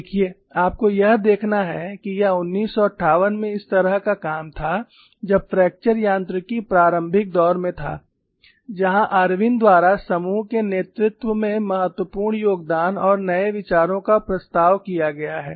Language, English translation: Hindi, See, you have to look at this was the kind of work in 1958, when fracture mechanics was in the initial stages, where significant contributions and new ideas have been proposed by the group lead by Irwin